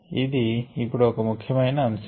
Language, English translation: Telugu, ok, this is an important concept now